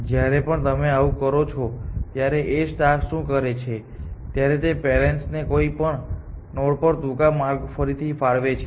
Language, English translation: Gujarati, But a star does is that when you does something like this it reallocates parents too shorter paths to any node on the way